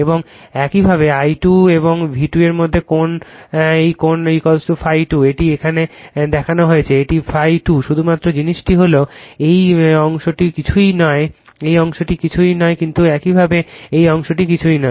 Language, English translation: Bengali, And similarly angle between I 2 and V 2 this angle is equal to phi 2 it is shown here it is phi 2, right only thing is that this this this portion is nothingthis portion is nothing but, similarly this portion is nothing, right